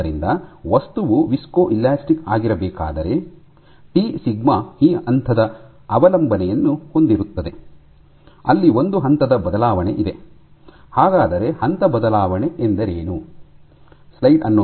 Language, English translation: Kannada, So, if for the material to be viscoelastic, your sigma of t has this dependence where there is a phase shift